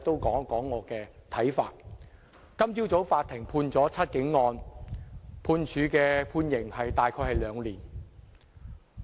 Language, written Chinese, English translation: Cantonese, 今早法院就"七警案"判處的刑期大約是兩年。, This morning the Court passed a sentence of imprisonment for around two years for the case of The Seven Cops